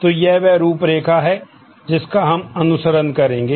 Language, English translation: Hindi, So, this is the outline that we will follow